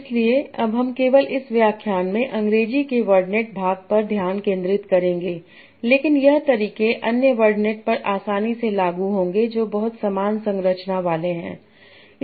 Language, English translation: Hindi, So now you will focus only on the English wordnet part in this lecture, but the methods would be easily applicable to other wordnets that are having a very similar structure